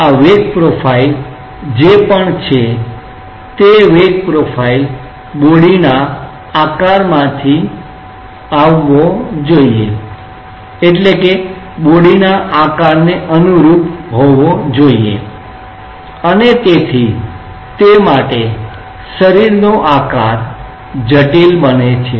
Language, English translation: Gujarati, This whatever is the velocity profile that velocity profile should come from the shape of the body and therefore, that is where the shape of the body becomes critical, ok